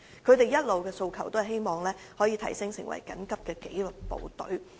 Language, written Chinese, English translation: Cantonese, 他們一直以來的訴求，是希望可以提升為緊急紀律部隊。, The reinstatement of FSD as an emergency service has been their aspiration all along